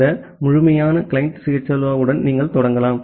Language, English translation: Tamil, You can start with this complete client CHLO